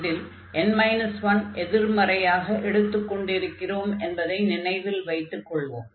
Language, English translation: Tamil, And that can be seen here, so we have 1 over this 1 minus n